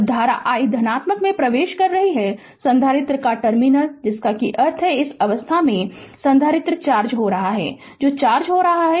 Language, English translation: Hindi, When the current i is entering in to the positive terminal of the capacitor, now we have marked it here that means in this state the capacitor is charging right, which is charging